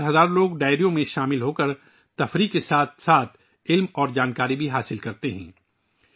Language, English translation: Urdu, Throughout the night, thousands of people join Dairo and acquire knowledge along with entertainment